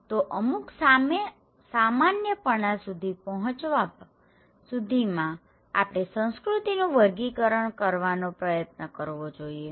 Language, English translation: Gujarati, So, in order to reach to some kind of generalizations, we should try to make categorizations of culture, okay